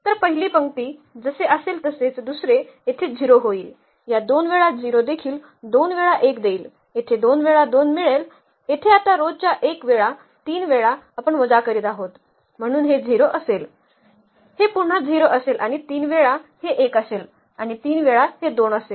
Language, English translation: Marathi, So, the first will first row will be as it is, the second one here will become 0, the two times of that this is also 0, two times this will give 1, here two times will get 2, here now the 3 times of the row 1 we are subtracting here so this will be 0, this will be again 0 and the 3 times this will be 1 and 3 times this will be 2